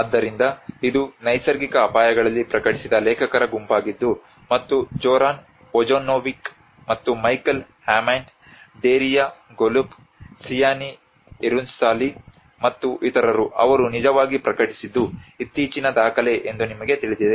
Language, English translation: Kannada, So this is a group of authors which worked that has been published in natural hazards and Zoran Vojinnovic, and Michael Hammond, Daria Golub, Sianee Hirunsalee, and others you know they have actually published is a very recent document